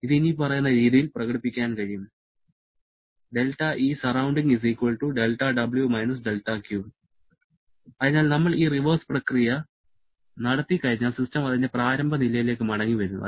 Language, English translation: Malayalam, So, once we are performing this reverse process, the system is coming back to its initial state